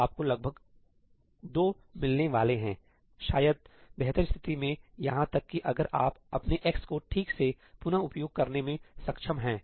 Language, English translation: Hindi, So, you are going to get about 2, maybe, in the best case, even if you are able to reuse your x properly